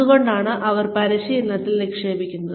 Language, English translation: Malayalam, Why do they invest in training